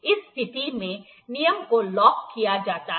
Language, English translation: Hindi, The rule can be locked in this position